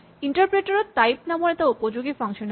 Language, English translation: Assamese, In the interpreter there is a useful function called type